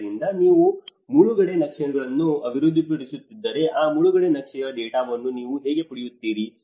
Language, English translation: Kannada, So, if you are developing an inundation maps, how do you get the data of that inundation map